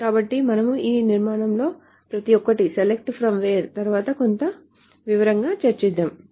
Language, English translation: Telugu, So we will go over each of this construct select from where in some detail